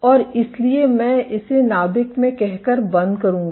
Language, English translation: Hindi, And, so this I would wrap up by saying that in the nucleus